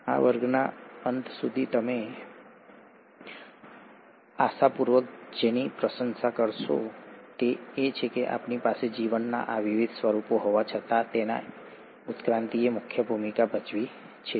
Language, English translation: Gujarati, What you’ll appreciate hopefully by the end of this class is that though we have these different forms of life, its evolution which has played the key role